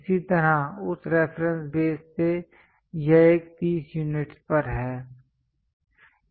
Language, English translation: Hindi, Similarly, from that reference base this one is at 30 units